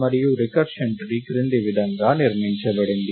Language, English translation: Telugu, And the recursion tree is constructed as follows